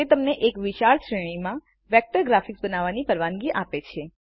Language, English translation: Gujarati, It allows you to create a wide range of vector graphics